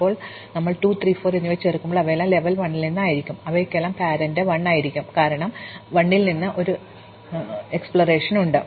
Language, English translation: Malayalam, Now, when we add 2, 3 and 4 all of them will be at level 1 and all of them will have as parent 1, because they all were explore from 1